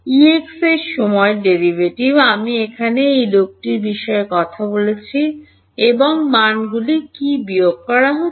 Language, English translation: Bengali, Time derivative of E x that is I am talking about this guy over here and what are the values being subtracted